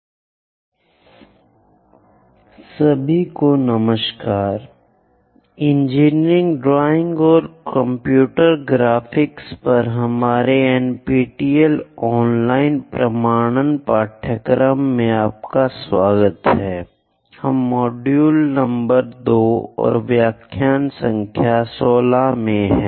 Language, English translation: Hindi, MODULE 02 LECTURE 16: Conic Sections VIII Hello everyone, welcome to our NPTEL online certification courses on Engineering Drawing and Computer Graphics; we are in module number 2 and lecture number 16